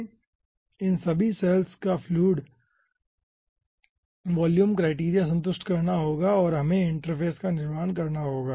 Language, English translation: Hindi, we have to satisfied the volume criteria of all these cells and we have to construct the interface